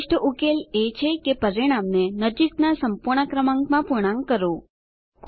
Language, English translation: Gujarati, The best solution is to round off the result to the nearest whole number